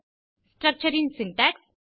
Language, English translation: Tamil, Syntax of a structure